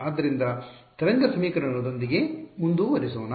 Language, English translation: Kannada, So, let us continue with are wave equation